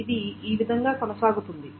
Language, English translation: Telugu, It goes on all the way